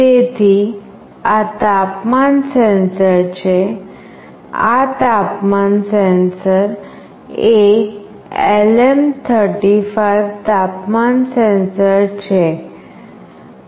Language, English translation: Gujarati, So, this is the temperature sensor, this temperature sensor is LM35 temperature sensor